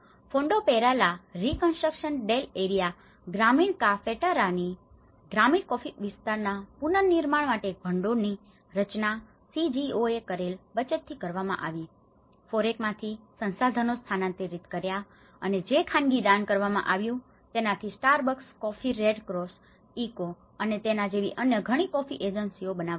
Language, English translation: Gujarati, And that is then following upon this assessments and all, a fund has been created is called FORECAFE fund is a Fondo para la reconstruction del area rural cafetera has been created with the savings of the CGOs, resources transferred from FOREC and private donations which has been made by like many coffee agencies like Starbucks coffee, Red Cross, ECHO, and others